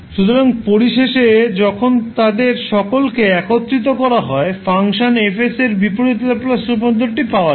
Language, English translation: Bengali, So finally, when you club all of them, you will get the inverse Laplace transform of the function F s